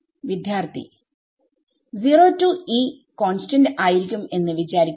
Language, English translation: Malayalam, Suppose 0 to E will be constant